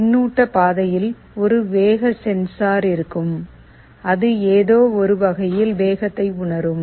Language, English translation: Tamil, There will be a speed sensor in the feedback path, it will be sensing the speed in some way